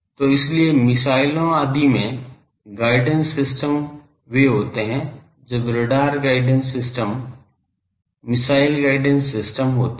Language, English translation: Hindi, , guidance systems, they are, when there are radar guidance systems, missile guidance system